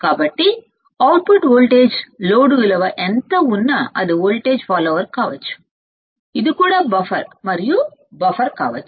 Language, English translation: Telugu, So, the output voltage is same no matter what is the load value it can be also a voltage follower it can be also a buffer and also a buffer